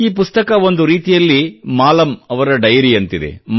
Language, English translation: Kannada, This book, in a way, is the diary of Maalam